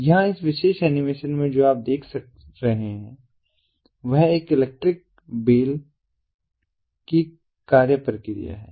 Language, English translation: Hindi, here, in this particular animation, what you see is an electric, the functioning of an electric bell